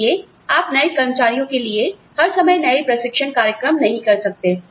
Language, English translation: Hindi, So, you cannot, have fresh training programs, for newer employees, all the time